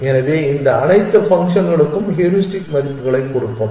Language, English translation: Tamil, So, let us have a different heuristic function and this function is as follows